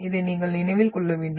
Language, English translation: Tamil, So this you should remember